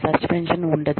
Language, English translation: Telugu, There is no suspension